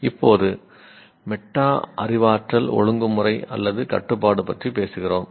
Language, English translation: Tamil, Now we talk about metacognitive regulation or control